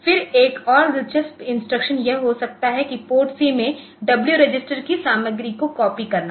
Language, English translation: Hindi, Then another interesting instruction may be that copy contents of W register into PORTC